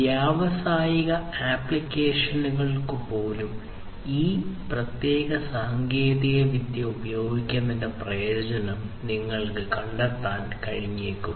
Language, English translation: Malayalam, Even for industrial applications, you might be able to find the necessity or the usefulness of using this particular technology